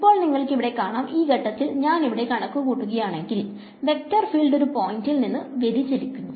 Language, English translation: Malayalam, Now you can see that if I calculate at this point over here, the vector field is sort of diverging away from one point